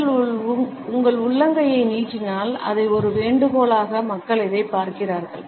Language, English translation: Tamil, If you extend your palm out and up people see this more as a request like you are inviting them to do things